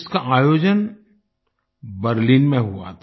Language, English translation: Hindi, It was organized in Berlin